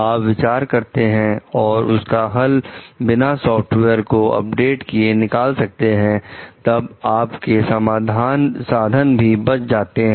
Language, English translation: Hindi, You are thinking of, if a solution can be found out without needing to update the software then resources are saved